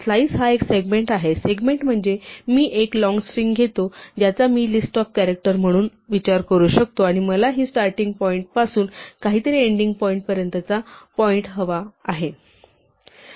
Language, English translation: Marathi, Slice is a segment, a segment means I take a long string which I can think of as a list of character and I want the portion from some starting point to some ending point